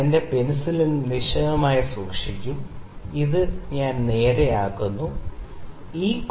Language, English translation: Malayalam, I will keep my pencil stationary I make it straight, ok